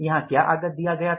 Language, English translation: Hindi, What was the input given here